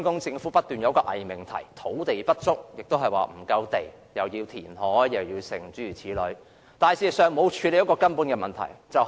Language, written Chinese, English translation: Cantonese, 政府卻不斷提出偽命題，指土地不足，需要填海等，未有處理人口增長的根本問題。, However the Government has constantly put forward pseudo - propositions ascribing its failure to deal with the fundamental issue of population growth to land shortage and the need of reclamation